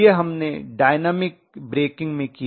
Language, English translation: Hindi, This is what we did in dynamic breaking